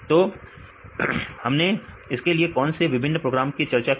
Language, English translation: Hindi, So, what are the various programs we discussed